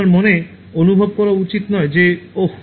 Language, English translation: Bengali, You should not later feel that oh